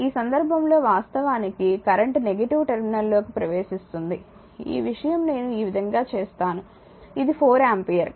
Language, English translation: Telugu, In this case if you look that current actually entering into the negative terminal just I will for your this thing I will just I will make it like this for this one this is 4 ampere: